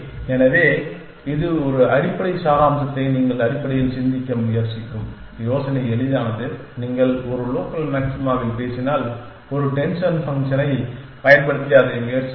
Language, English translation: Tamil, So, this a way essence that you try think of essentially for the basic idea is simple that if you us talk on a local maxima use a denser function and try that